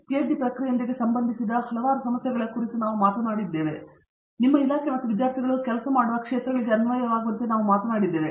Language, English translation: Kannada, Let me know we have spoken about various issues associated with the PhD process and as it applies to your department and the areas that they work students work in and so on